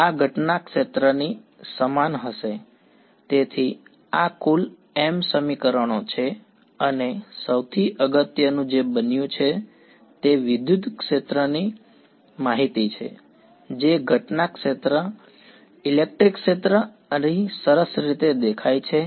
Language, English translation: Gujarati, So, this is m equations in total and most importantly what has happened is the information about the electric field the incident electric field has nicely appeared over here